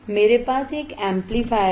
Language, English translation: Hindi, I have a summing amplifier